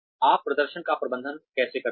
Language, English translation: Hindi, How do you manage performance